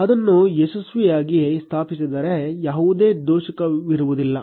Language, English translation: Kannada, If it has been successfully installed, there will be no error